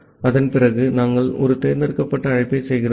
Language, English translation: Tamil, After that we are making a select call